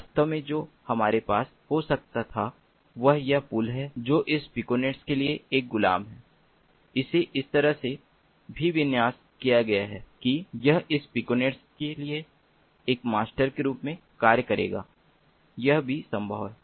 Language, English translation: Hindi, in fact, what we could have had is this bridge, which is a slave for this piconet would have also been configured in such a way that it would act as a master for this piconet